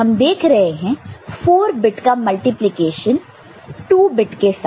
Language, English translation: Hindi, So, that was 4 bit getting divided by 2 bit